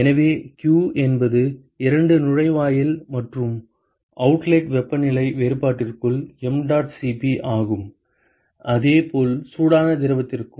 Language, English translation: Tamil, So, q is mdot Cp into the temperature difference between the two inlet and the outlet and similarly for the hot fluid